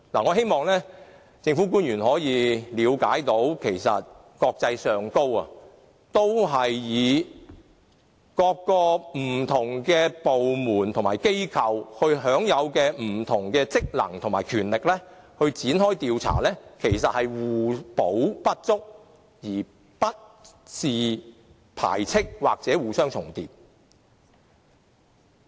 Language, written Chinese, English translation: Cantonese, 我希望政府官員能夠了解，國際上，各個不同部門和機構均因應不同的職能和權力來展開調查，其實可以互補不足，而不是排斥或互相重疊。, I hope government officials can understand that in other places in the world various government departments and organizations will also carry out investigations under their respective purviews and frankly speaking this will only enable them to complement each others work . There will not be any duplication of efforts or side - lining of anybody